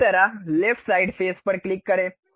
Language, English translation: Hindi, Similarly, click the left side face